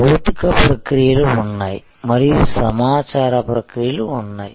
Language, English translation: Telugu, So, there were physical processes and their where information processes